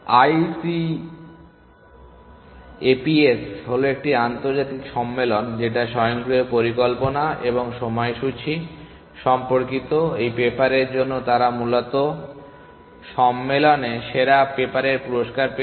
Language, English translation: Bengali, ICAPS is international conference on automated planning and scheduling and for this paper, they got the best paper award in the conference essentially